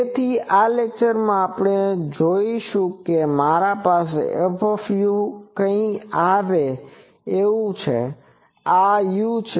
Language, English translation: Gujarati, So, in this lecture, we will see suppose I have a F u something like this that this is my u